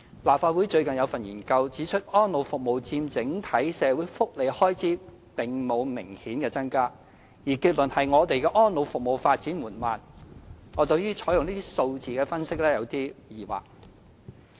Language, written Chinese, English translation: Cantonese, 立法會最近發表研究，指出安老服務佔整體社會福利開支並沒有明顯增加，結論是我們的安老服務發展緩慢，我對於採用這個數字作出分析有點疑惑。, A research report recently published by the Legislative Council highlighted the lack of a significant increase in expenditure on elderly services as a percentage of the overall welfare expenditure and thus concluded that the development of our welfare services had been slow . I am a bit skeptical about using that figure as the basis for such an analysis